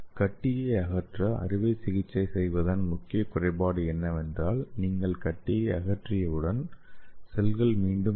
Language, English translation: Tamil, That means the main drawback of you tumor surgery once you remove the tumor again the cells will grow again okay